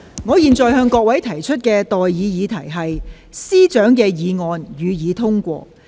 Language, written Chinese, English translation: Cantonese, 我現在向各位提出的待議議題是：政務司司長動議的議案，予以通過。, I now propose the question to you and that is That the motion moved by the Chief Secretary for Administration be passed